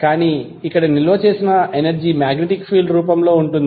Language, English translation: Telugu, But here the stored energy is in the form of magnetic field